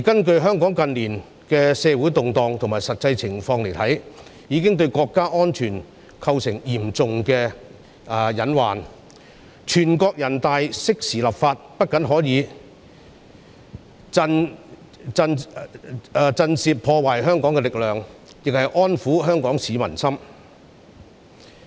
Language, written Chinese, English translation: Cantonese, 從香港近年的社會動盪及實際情況來看，有關問題已經對國家安全構成嚴重的隱患，人大常委會適時立法，不僅可以震懾破壞香港的力量，亦可安撫香港市民的心。, Judging from the social turmoil and actual situation in Hong Kong in recent years the relevant issues have already posed a serious lurking danger to national security . Not only can the timely legislation of NPCSC deter the destructive force in Hong Kong . It can also make the people of Hong Kong feel assured